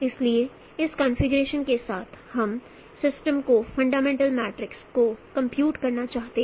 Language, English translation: Hindi, So with this configuration we would like to compute the fundamental matrix of the system